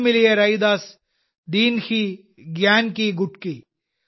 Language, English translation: Malayalam, Guru Miliya Raidas, Dinhi Gyan ki Gutki